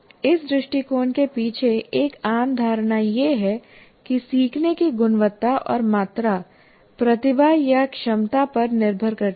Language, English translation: Hindi, And a common assumption behind this approach is that learning quality and quantity depend on talent or ability